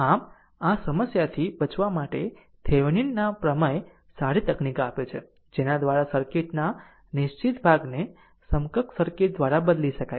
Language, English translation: Gujarati, So, to a avoid this problem Thevenin’s theorem gives a good technique by which fixed part of the circuit can be replaced by an equivalent circuit right